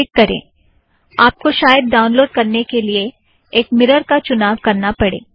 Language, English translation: Hindi, Click this, you may need to choose a mirror for download